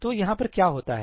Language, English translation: Hindi, So, what happens over here